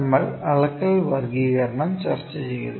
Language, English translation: Malayalam, So, we discussed about the measurement classification